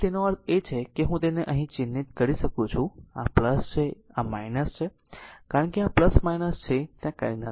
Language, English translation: Gujarati, So; that means, I can mark it here this is plus and this is minus because this is plus minus nothing is there